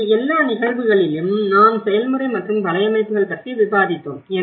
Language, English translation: Tamil, So in all the cases, what we did discussed is about the process and the networks